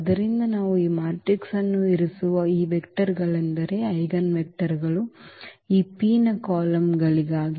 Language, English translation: Kannada, So, the P will be we are placing these matrices are these vectors the eigenvectors as columns of this P